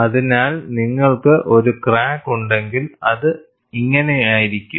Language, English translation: Malayalam, So, if you have the crack, it will be like this